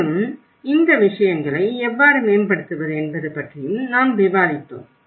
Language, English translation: Tamil, And also, we did discussed about how these things could be improved